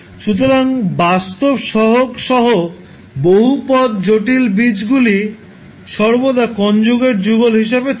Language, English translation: Bengali, So, the complex roots of the polynomial with real coefficients will always occur in conjugate pairs